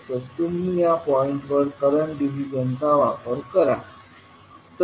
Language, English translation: Marathi, So, what you get using current division